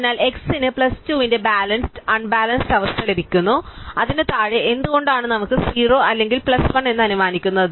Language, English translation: Malayalam, So, x is got a balanced unbalance of plus 2 and below it we have why which whereas assuming is either 0 or plus 1